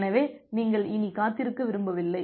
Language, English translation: Tamil, So, you do not want to wait any more